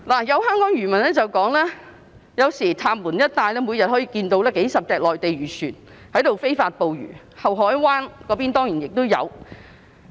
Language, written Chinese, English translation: Cantonese, 有香港漁民表示，有時候在塔門一帶，每天可以看到數十艘內地漁船在非法捕魚，后海灣那邊當然亦有。, Some Hong Kong fishermen said that sometimes they saw dozens of Mainland fishing vessels illegally fishing in the Ta Mun area every day . It certainly also happened in Deep Bay